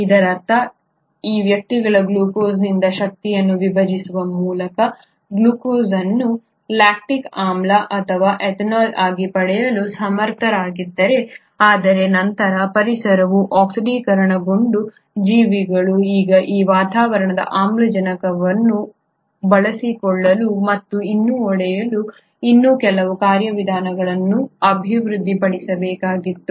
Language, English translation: Kannada, That means these guys are able to still obtain energy from glucose by breaking it down, glucose into lactic acid or ethanol, while those organisms which later ones the environment became oxidised they should have developed some more mechanism to now utilise that atmospheric oxygen and still break down glucose